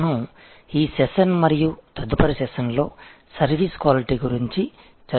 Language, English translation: Telugu, We are going to discuss in this session and possibly the next session, Services Quality, Service Quality